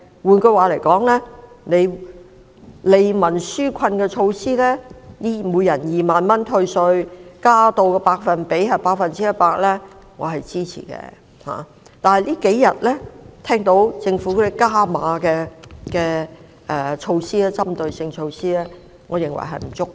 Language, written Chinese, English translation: Cantonese, 換言之，利民紓困的措施，每人2萬元退稅，增加百分比至 100%， 我是支持的，但政府這數天提出的"加碼"的針對性措施，我認為並不足夠。, In other words I will support measures for relieving peoples burden tax reduction of 20,000 and the increase of the tax reduction percentage rate to 100 % . Yet for the top - up targeted measures proposed in the last couple of days I think they are inadequate